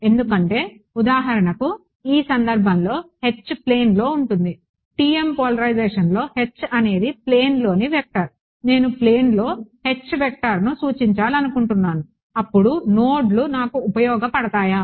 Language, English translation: Telugu, Because for example, in this case H is in plane; in the TM polarization H is a vector in plane, supposing I wanted to represent the H vector in plane, will the nodes we useful for me